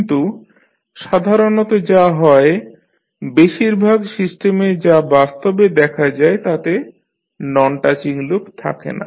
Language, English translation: Bengali, But, what happens that the generally in most of the system which you see in real time do not have non touching loops